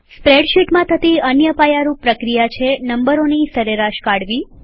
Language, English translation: Gujarati, Another basic operation in a spreadsheet is finding the Average of numbers